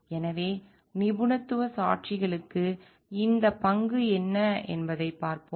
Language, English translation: Tamil, So, let us see like what are these role for expert witnesses